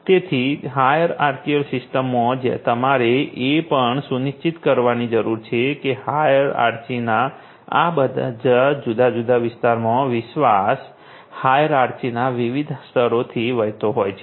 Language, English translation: Gujarati, So, in a hierarchical system, you also need to ensure that in all these different levels of hierarchy that the trust flows through these different layers of hierarchy